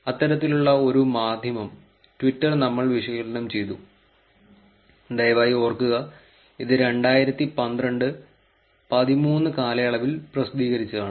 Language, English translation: Malayalam, We analysed one such media, twitter please remember this was actually published in two thousand thirteen, two thousand twelve during that period